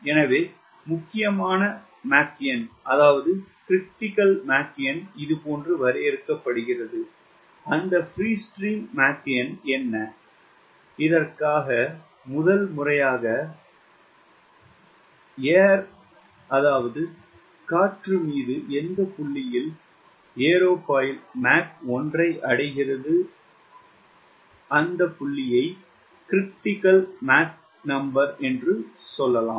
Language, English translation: Tamil, so the critical mach number is defined like this: what is that free stream mach number for which, for the first time, any point in the aerofoil has reached mach one